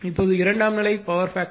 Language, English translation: Tamil, Now, secondary side power factor is power factor is 0